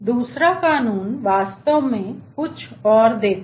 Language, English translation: Hindi, second law gives something more